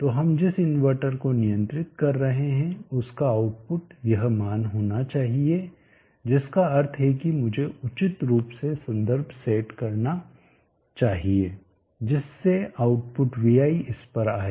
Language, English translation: Hindi, So output of the inverter that we are controlling should how this value which means I should appropriately set the reference such that output vi is coming to this much